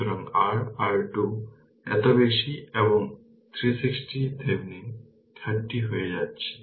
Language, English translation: Bengali, So, your R Thevenin is becoming this much and V Thevenin we got 360 upon 13